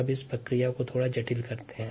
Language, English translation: Hindi, now let us complicate this process a little bit